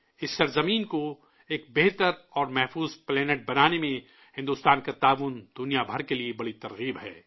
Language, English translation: Urdu, India's contribution in making this earth a better and safer planet is a big inspiration for the entire world